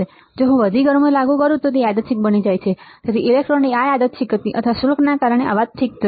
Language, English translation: Gujarati, And if I apply more heat then it becomes even more random, so this random motion of the electron or the charges or cause would cause a noise ok